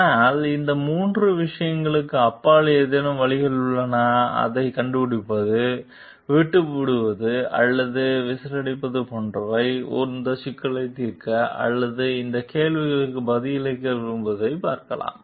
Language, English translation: Tamil, But are there any ways beyond these three things like keeping quite, quitting or blowing the whistle like which we can do to see like to solve this issue or to like answer this question